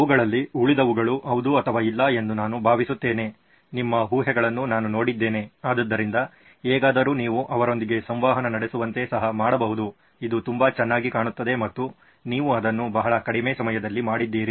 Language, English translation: Kannada, Rest of them are I think yes or no questions, I have been looked at your assumptions, so anyway so then you can make them interact with this also looks quite good and you did it in very short amount of time